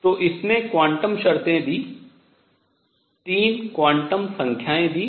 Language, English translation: Hindi, So, it gave the quantum conditions, gave 3 quantum numbers